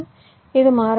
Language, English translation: Tamil, this is variable